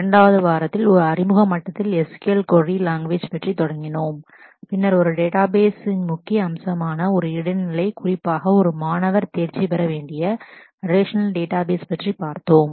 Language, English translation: Tamil, In week 2, we started off with query language SQL at an Introductory level and then at an Intermediate level which are really really the first major aspect of a database particularly relational database that a student must master